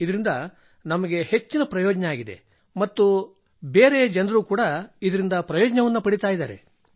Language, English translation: Kannada, It is of great benefit to me and other people are also benefited by it